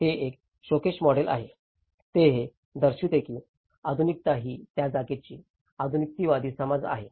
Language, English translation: Marathi, It is a showcase model, that it can show that this is how the modernism, is a modernist understanding of the place